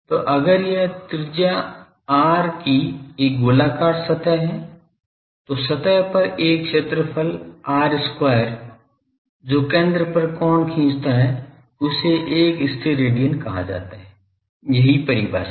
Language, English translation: Hindi, So, if this is a spherical surface of radius r , then an on the surface an area r square the angle it subtends at the centre that is called one Stedidian , that is the definition